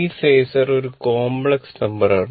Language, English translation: Malayalam, Now phasor as complex number